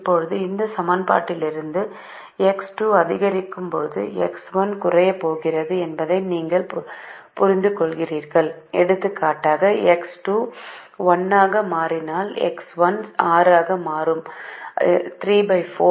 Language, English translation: Tamil, this equation, we have to look at this so this become three as x two increases, as x two becomes one, this will become three minus three by four, and so on